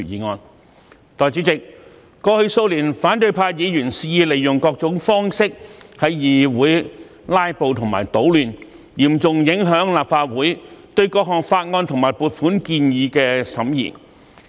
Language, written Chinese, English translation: Cantonese, 代理主席，過去數年，反對派議員肆意利用各種方式在議會"拉布"和搗亂，嚴重影響立法會對各項法案和撥款建議的審議。, Deputy President over the past few years Members from the opposition camp have resorted to various means to filibuster and stir up troubles in this Council which had seriously affected the scrutiny of various bills and funding proposals by the Legislative Council